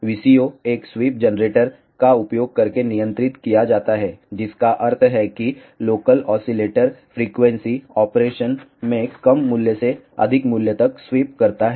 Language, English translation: Hindi, The VCO is govern using a sweep generator, which mean that the local oscillator frequency sweeps from a lower value to a higher value in the operation